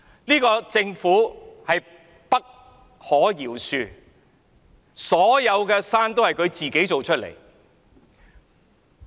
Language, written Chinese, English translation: Cantonese, 這個政府不可饒恕，所有的山也是自己一手造成的。, This Government is unforgivable . It is the one to blame for all such mountains